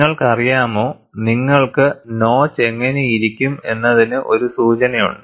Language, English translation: Malayalam, And you know, you have a clue, how the notch will look like